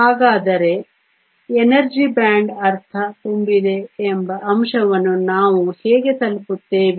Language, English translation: Kannada, So, how do we arrive the fact that the energy band is half full